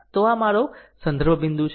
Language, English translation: Gujarati, So, this is my reference point